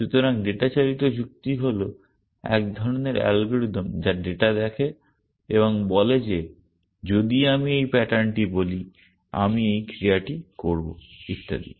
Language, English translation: Bengali, So, data driven reasoning is some kind of an algorithm which looks at data and says that if I say this pattern, I will do this action and so on and so forth